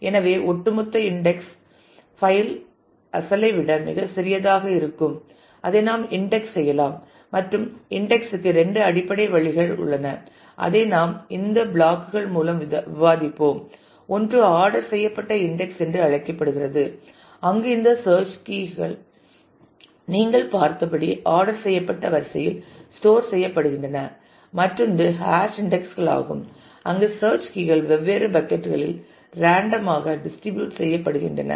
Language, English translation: Tamil, So, the overall index file will be a much smaller one than the original and we can index it and there are two basic ways to index and; that is what we will discuss through these modules one is called ordered index where this search keys are stored in sorted order as you have just seen and the other is hash indices where the search keys are distributed randomly across different buckets